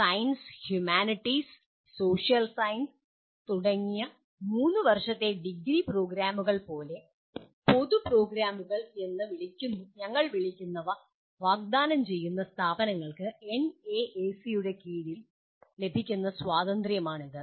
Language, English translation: Malayalam, That is the kind of freedom given under NAAC for to institutions offering the, offering what we call as general programs, like a 3 year degree programs in sciences, humanities, social sciences and so on